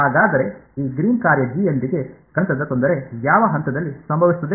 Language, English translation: Kannada, So, the mathematical difficulty with this Green’s function G is going to happen at which point